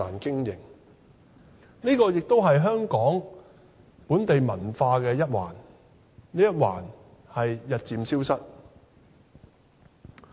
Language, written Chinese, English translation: Cantonese, 這也是香港本地文化的一環，但這一環正日漸消失。, This is also one aspect of the local culture in Hong Kong but it is now disappearing